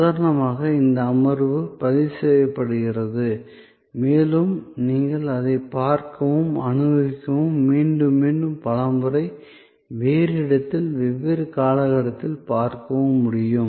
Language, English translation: Tamil, Like for example, this session is being recorded and you would be able to see it and experience it and view it again and again, number of times, at a different place, different time frame